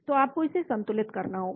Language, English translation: Hindi, so you need to balance this